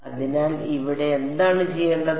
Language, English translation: Malayalam, So, what remains to be done here